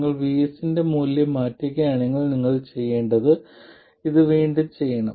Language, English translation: Malayalam, If you change the value of VS, what do you have to do